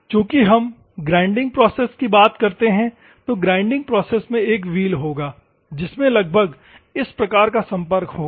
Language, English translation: Hindi, Since we are bothered about the grinding process, the grinding process will have a wheel like this which you will have contact approximately this type of things